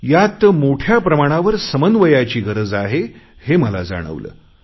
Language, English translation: Marathi, I felt the need for greater coordination